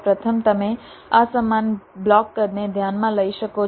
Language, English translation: Gujarati, firstly, you can consider unequal block sizes